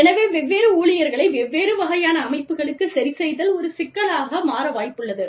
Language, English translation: Tamil, So, i mean, adjustment of different employees, to different kinds of systems, becomes a problem